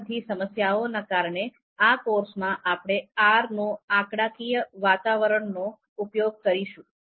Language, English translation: Gujarati, So because of all these problems in this particular course, we are going to use R statistical environment